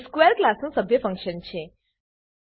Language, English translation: Gujarati, It is a member function of class square